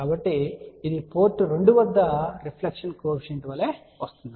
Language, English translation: Telugu, So, this is same thing as reflection coefficient at port 2